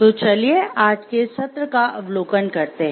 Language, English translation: Hindi, So, let us look into the overview of today’s session